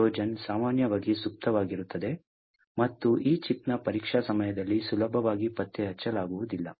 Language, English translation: Kannada, This Trojan will be typically dormant and not easily detectable during the testing time of this particular chip